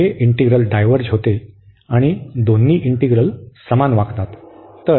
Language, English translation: Marathi, So, this integral diverges and since both the integrals will behave the same